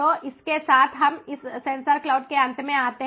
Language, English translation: Hindi, so with this we come to an end of sensor cloud